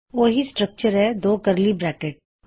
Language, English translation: Punjabi, The same structure so two curly brackets